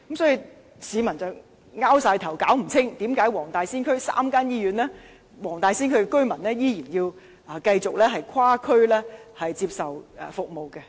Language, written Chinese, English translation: Cantonese, 所以，市民摸不着頭腦，為何黃大仙區有3間醫院，但黃大仙區居民依然要跨區接受醫療服務。, Therefore people are puzzled why residents still need to seek healthcare services in other districts when there are three hospitals in the Wong Tai Sin District